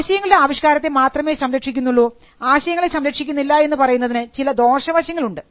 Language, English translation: Malayalam, There are also certain disadvantages in protection of expression and not in protection of ideas